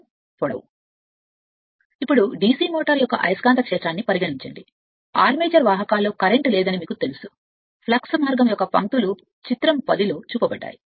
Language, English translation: Telugu, Now, consider the magnetic field of a DC motor you know there is no current in the armature conductors the lines of flux path is shown in figure 10